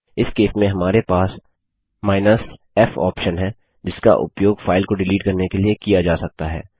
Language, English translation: Hindi, In this case we have the f option which can be used to force delete a file